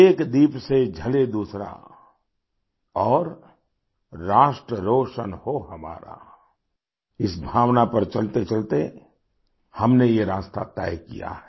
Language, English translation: Hindi, 'May one lamp light another, thus illuminating the Nation' treading along this sentiment, we've traversed this way